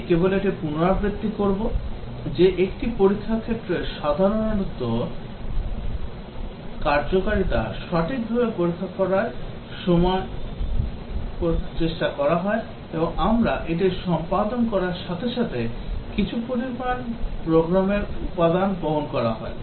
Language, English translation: Bengali, Let me just repeat that, that a test case typically tries to check the correct working of functionality and as we execute it covers some program elements